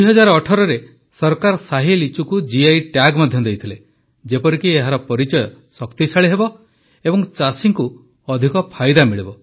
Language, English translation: Odia, In 2018, the Government also gave GI Tag to Shahi Litchi so that its identity would be reinforced and the farmers would get more benefits